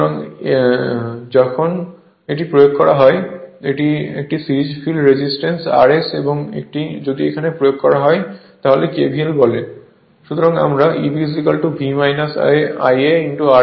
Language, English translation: Bengali, So, and if you apply your and this is a series field resistance R S right and if you apply here also your what you call that KVL